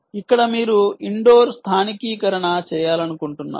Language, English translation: Telugu, ok, here you want to do indoor localization